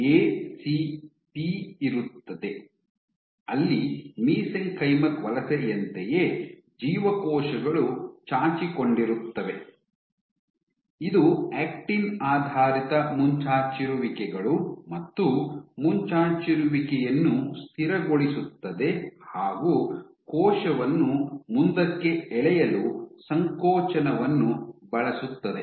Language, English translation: Kannada, You might have, A C P where, just like mesenchymal migration, cells protrude, sends actin based protrusions, stabilize the protrusion and use contractility pull to the cell forward